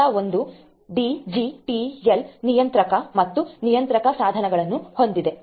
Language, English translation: Kannada, Level 1 is going to be the digital controller and the controller devices and so on